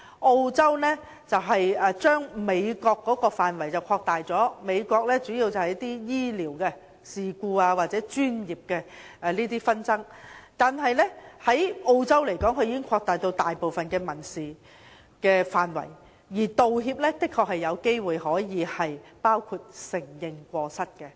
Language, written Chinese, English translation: Cantonese, 澳洲將美國的範圍擴大，美國主要用在醫療事故或專業紛爭，而澳洲則擴大至大部分民事範圍，而道歉的確有機會包括承認過失。, Apology legislation in Australia has an even bigger scope than in the United States . In the United States apology legislation mainly covers medical incidents or professional disputes while in Australia it also covers most civil disputes and making apologies can be regarded as admission of fault